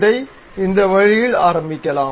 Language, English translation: Tamil, Let us begin it in this way